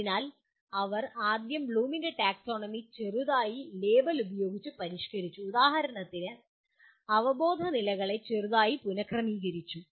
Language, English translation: Malayalam, So they have slightly revised the Bloom’s taxonomy first of all by label and slightly reordered the cognitive levels for example